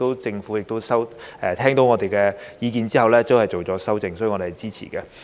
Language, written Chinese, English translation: Cantonese, 政府在聽到我們的意見後亦作出修正，所以我們是支持的。, Therefore we support the amendment that the Government has made after listening to our views